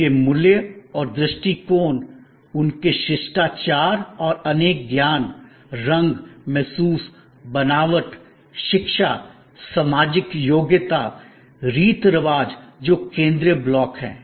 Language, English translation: Hindi, Their values and attitudes, their manners and customs their sense of esthetics, color, feel, texture, education social competency that is the central block